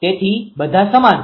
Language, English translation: Gujarati, So, all are same right